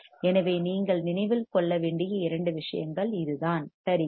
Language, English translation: Tamil, So, two things you have to remember right